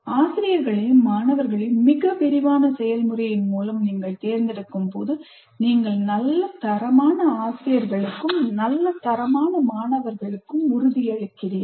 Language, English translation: Tamil, When you select your faculty and students through very elaborate process, then you are assuring good quality faculty and good quality students